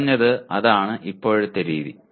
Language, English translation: Malayalam, At least that is the current practice